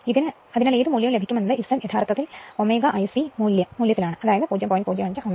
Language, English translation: Malayalam, 1 so whatever value you will get that is Z actually in ohmic value so, 0